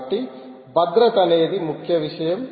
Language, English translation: Telugu, so security is a big pillar